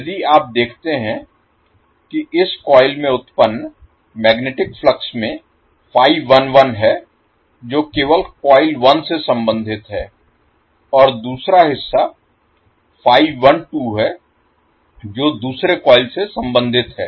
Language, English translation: Hindi, So if you see the magnetic flux generated in this particular coil has phi 11 which is link to only coil 1 and another component phi 12 which links the second coil also